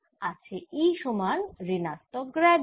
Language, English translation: Bengali, i have e equals minus grad of v